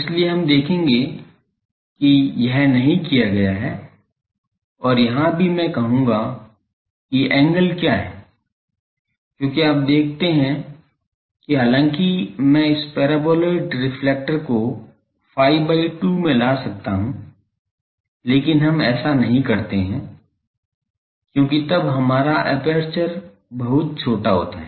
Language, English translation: Hindi, So, that is why we will see that this is not done and also here I will say that what is the angle because, you see that though I can make this paraboloid reflector come to this phi by 2, but we do not do that because then the our aperture becomes very small